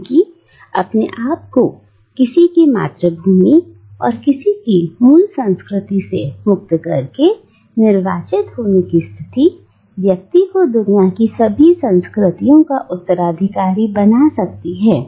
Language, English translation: Hindi, Because by freeing oneself from the confines of one's homeland and one's native culture the condition of being an exile can make a person an heir to all cultures in the world